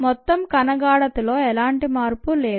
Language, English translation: Telugu, this is total cell concentration